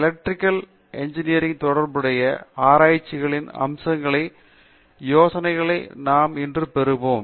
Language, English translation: Tamil, So, we will get an idea of aspects of research associated with Electrical Engineering